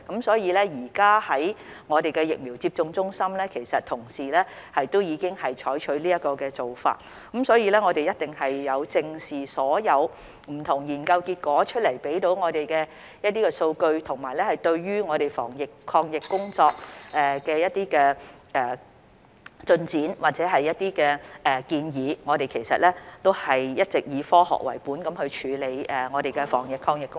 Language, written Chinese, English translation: Cantonese, 所以，現時在疫苗接種中心的同事已經採取這做法，我們是有正視所有不同研究結果向我們提供的數據，以及對我們防疫抗疫工作的一些改善或建議，我們其實一直也以科學為本處理我們的防疫抗疫工作。, Therefore our colleagues at the vaccination centres have been using this method now . We have taken into account the statistics in various studies that have been made available to us as well as the ways to improve our anti - epidemic efforts or other suggestions . We have in fact all along adopted a science - based approach in our work to prevent the epidemic